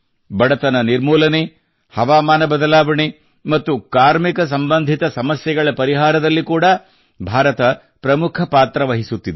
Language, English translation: Kannada, India is also playing a leading role in addressing issues related to poverty alleviation, climate change and workers